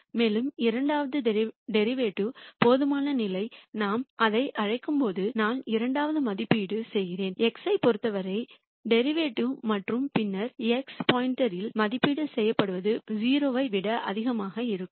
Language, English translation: Tamil, And the second order su ciency condition as we call it is that then I evaluate the second derivative with respect to x and then evaluated at x star it has to be greater than 0